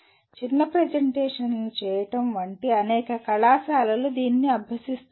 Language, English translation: Telugu, This is something that is practiced by several colleges like for making short presentations